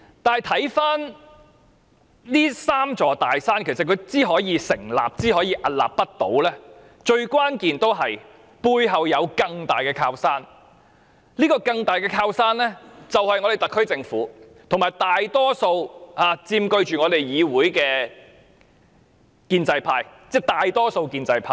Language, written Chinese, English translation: Cantonese, 如今回顧，這"三座大山"之所以能夠出現和屹立不倒，關鍵在於其背後有一座更大的靠山，這座更大的靠山就是特區政府及佔據議會大多數的建制派。, In retrospect the key to the emergence of the three big mountains and their immovable status lies in their being backed by a bigger mountain . This bigger mountain is the SAR Government and the majority pro - establishment camp in the legislature